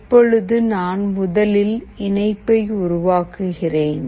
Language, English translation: Tamil, So, just a second I will just make the connection first